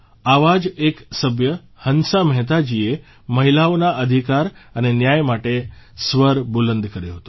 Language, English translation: Gujarati, One such Member was Hansa Mehta Ji, who raised her voice for the sake of rights and justice to women